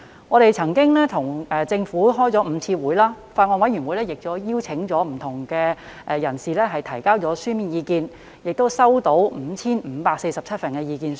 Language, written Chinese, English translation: Cantonese, 我們曾與政府當局舉行5次會議，法案委員會曾邀請各界就《條例草案》提交書面意見，共接獲 5,547 份意見書。, We have held five meetings with the Administration . The Bills Committee has invited written views on the Bill and received a total of 5 547 submissions